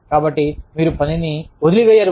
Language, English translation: Telugu, So, you do not leave the work